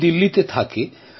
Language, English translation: Bengali, He stays in Delhi